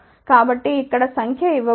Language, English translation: Telugu, So, the number is given over here